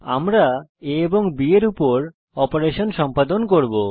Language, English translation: Bengali, We will perform operations on a and b